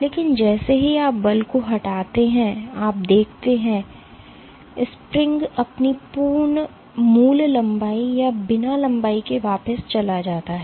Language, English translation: Hindi, But as soon as you remove the force you see that the spring goes back to its original length or unstretched length